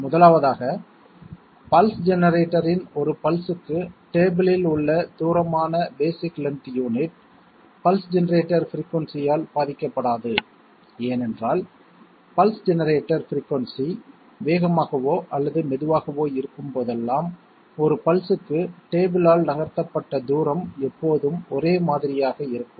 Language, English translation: Tamil, First of all, the basic length unit which is the distance covered by the table per pulse of pulse generator, it is not affected by pulse generator frequency, why because whenever the pulse generator frequency is fast or slow, the distance moved per pulse by the table will always be the same